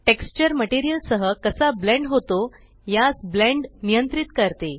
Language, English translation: Marathi, Blend controls how the texture blends with the material